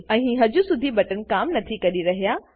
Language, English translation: Gujarati, Here, the buttons dont work yet